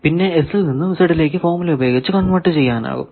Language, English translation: Malayalam, So, you can find S parameter then S 2 Z you can reconvert back that formula is given here